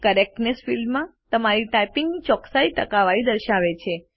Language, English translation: Gujarati, The Correctness indicator displays the percentage correctness of typing